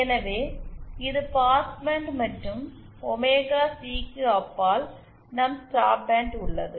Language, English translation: Tamil, So, this is our passband and beyond omega C, we have our stop band